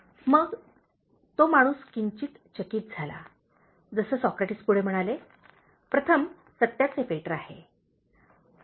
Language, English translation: Marathi, So, the man looked somewhat puzzled as Socrates continued, he said, “First is the filter of truth